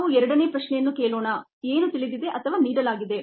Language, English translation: Kannada, so let us ask the second question: what is known or given